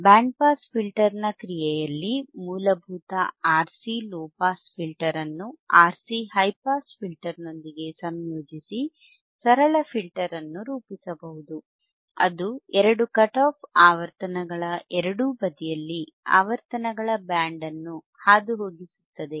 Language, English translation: Kannada, In Band Pass Filter action we have seen that a basic RC low pass filter can be combined with a RC high pass filter to form a simple filter that will pass a band of frequencies either side of two cut off frequencies